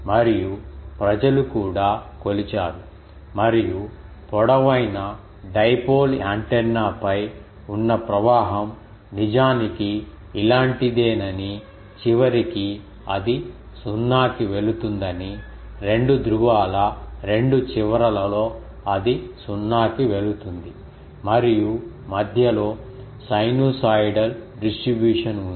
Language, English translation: Telugu, And, people have also measured and found that the current on a long dipole antenna that is indeed something like this that at the end it goes to 0, at the 2 ends of the 2 poles it goes to 0 and in between there is a sinusoidal distribution